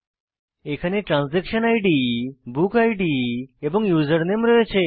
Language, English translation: Bengali, It has details like Transaction Id, Book Id and Username